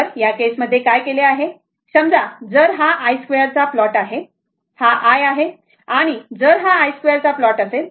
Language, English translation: Marathi, So, in this case, in this case what has been done that suppose this plot is i square plot, this is the i and if you plot i square